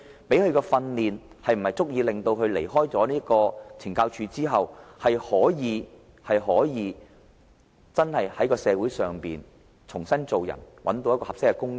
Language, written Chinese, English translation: Cantonese, 提供的訓練是否足以令他在離開懲教組織後，可以在社會重新做人，找到合適的工種？, Is the kind of training given to inmates good enough to facilitate their rehabilitation and hunt for suitable positions upon their release from correctional institutions?